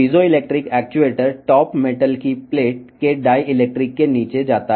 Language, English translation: Telugu, The piezoelectric actuator moves down the dielectric of the top metal plate